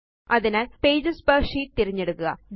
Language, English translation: Malayalam, So, select Pages per sheet